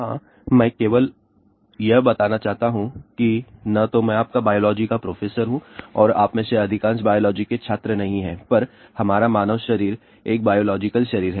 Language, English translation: Hindi, Yes, I just want to tell you neither I am your biology professor and most of you are not biology student that our human body is a biological body